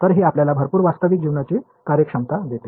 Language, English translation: Marathi, So, it gives you a lot of real life functionality ok